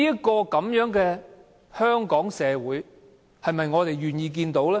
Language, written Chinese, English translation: Cantonese, 這樣的香港社會，是我們願意看到的嗎？, Do we want to see our society reducing to this state?